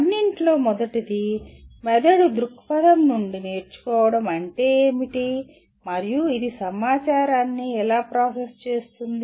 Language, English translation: Telugu, First of all, what does learning mean from a brain perspective and how does it process the information